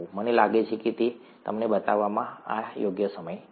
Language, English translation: Gujarati, I think it is the right time to show you that